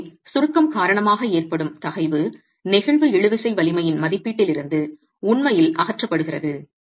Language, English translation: Tamil, So, the stress due to compression is actually removed from the estimate of the flexual tensile strength